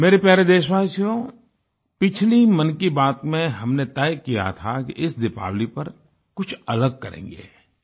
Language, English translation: Hindi, My dear countrymen, in the previous episode of Mann Ki Baat, we had decided to do something different this Diwali